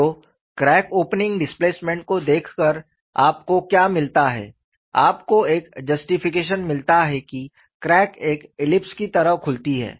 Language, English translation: Hindi, So, what you get by looking at the crack opening displacement is, you get a justification, that crack opens like an ellipse that is the information number one